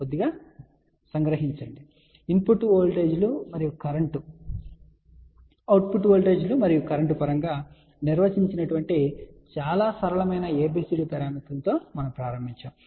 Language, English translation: Telugu, So, we actually started with the very simple ABCD parameters which are define in terms of input voltages and current and output voltages and current